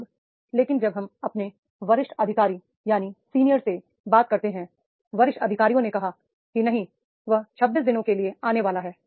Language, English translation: Hindi, Now, but when we talk to the senior executive, the senior executive said that is no, he is supposed to come for the 26 days